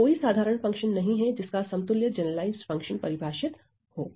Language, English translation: Hindi, And there is no ordinary function whose generalized function equivalent is defined here ok